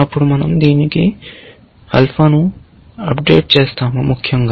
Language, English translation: Telugu, Then, we will update alpha to that, essentially